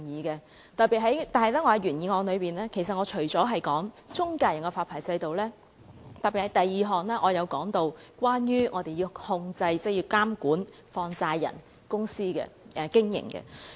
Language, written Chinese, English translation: Cantonese, 不過，在原議案中，我除了提及中介人的發牌制度外，也特別在第二項提到有關控制、監管放債人公司的經營。, However in the original motion apart from the licensing regime for financial intermediaries I have specially mentioned in point 2 control and regulation of the operation of money - lending companies . In fact will Members please look at the figures